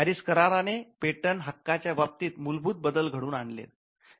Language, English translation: Marathi, The PARIS convention created certain substantive changes in the patent regime